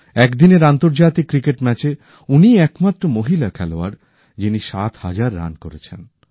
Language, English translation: Bengali, She also is the only international woman player to score seven thousand runs in one day internationals